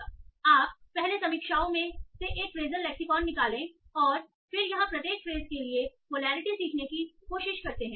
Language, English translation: Hindi, So you first extract a phrasal lexicon from reviews and then try to learn polarity for each phrase here